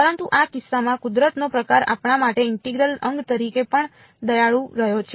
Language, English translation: Gujarati, But in this case sort of nature has been even kinder to us the integral of